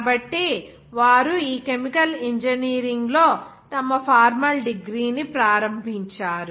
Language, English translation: Telugu, So they have started their formal degree in this chemical engineering